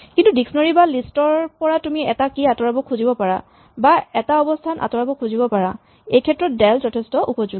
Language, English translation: Assamese, But from a dictionary or a list we might want to remove a key or if might want to remove a position and del is very useful for that